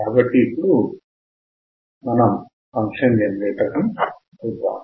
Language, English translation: Telugu, So, let us see the function generator